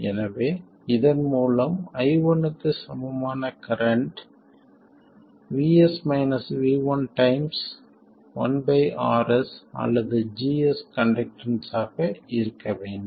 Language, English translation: Tamil, So, the current through this which is equal to I1 has to be vS minus V1 times 1 by RS or GS which is the conductance